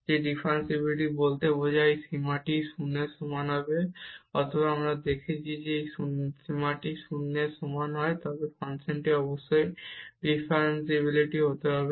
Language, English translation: Bengali, That the differentiability imply this that this limit must be equal to 0, or we have also seen that if this limit equal to 0 then the function must be differentiable